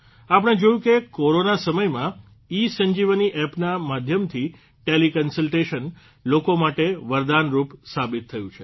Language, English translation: Gujarati, We have seen that in the time of Corona, ESanjeevani App has proved to be a great boon for the people